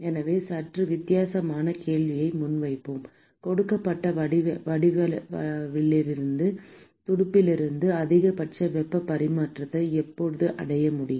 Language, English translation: Tamil, So, let us pose a slightly different question when can we achieve maximum heat transfer from a fin of a given geometry